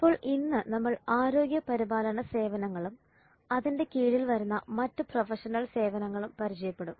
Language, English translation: Malayalam, So today we will look at healthcare services and other professional services